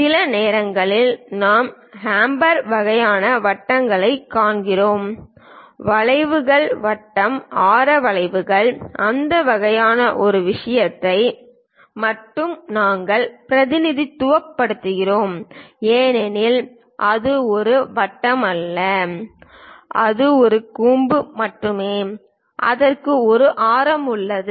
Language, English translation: Tamil, Sometimes we see hump kind of shapes, curves circular radius curves that kind of thing we only represent because it is not a circle, it is just a hump and it has a radius